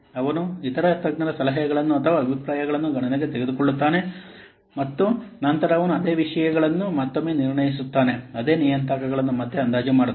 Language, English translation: Kannada, He takes into account the suggestions or the opinions of the other experts and then he assesses the same matters once again